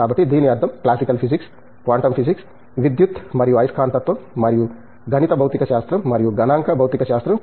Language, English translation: Telugu, So, this means classical physics, quantum physics, electricity and magnetism and mathematical physics and statistical physics